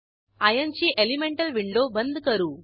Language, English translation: Marathi, I will close Iron elemental window